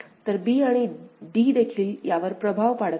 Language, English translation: Marathi, So, b and d is also effecting this one alright